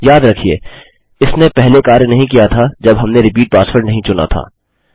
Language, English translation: Hindi, Remember it didnt work before when we didnt chose a repeat password